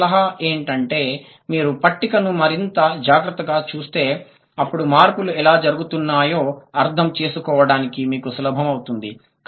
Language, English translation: Telugu, My suggestion would be look at the table more carefully than it would be easier for you to understand how the changes are happening